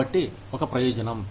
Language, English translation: Telugu, So, that is a benefit